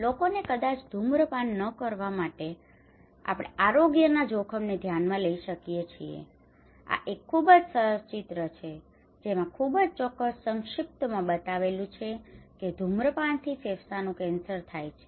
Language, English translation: Gujarati, Also maybe we can look into health risk in order to ask people not to smoke this is a very nice picture nice poster with very precise very concise smoking causes lung cancer